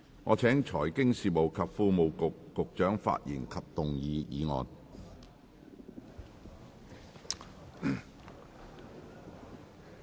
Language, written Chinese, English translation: Cantonese, 我請財經事務及庫務局局長發言及動議議案。, I call upon the Secretary for Financial Services and the Treasury to speak and move the motion